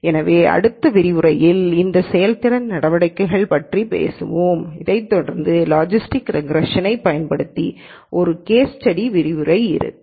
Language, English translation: Tamil, So, in the next lecture we will talk about these performance measures and then following that will be the lecture on a case study using logistic regression